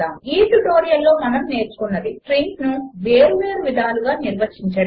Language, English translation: Telugu, At the end of this tutorial, you will be able to, Define strings in different ways